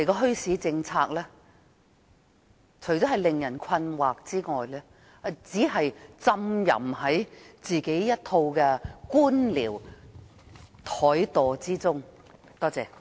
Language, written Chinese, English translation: Cantonese, 墟市政策不應令人感到困惑，而政府亦不應浸淫在一套官僚怠惰中。, The policy on bazaars should not be perplexing and the Government should not indulge itself in bureaucratic laziness